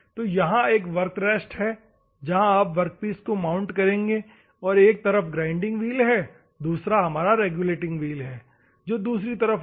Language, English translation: Hindi, So, this is a work rest where you will mount the workpiece, and the grinding wheel is there on one side, another one is regulating wheel will be there on the other side